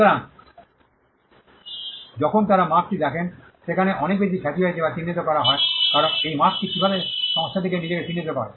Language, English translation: Bengali, So, when they see the mark there is so, much of reputation that is attributed to the mark, because this mark is how the company identifies itself